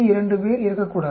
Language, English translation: Tamil, 2 not to die